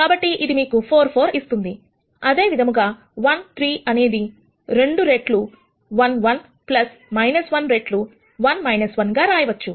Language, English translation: Telugu, So, that will give you 4 4 similarly 1 3 can be written as, 2 times 1 1 plus minus 1 times 1 minus 1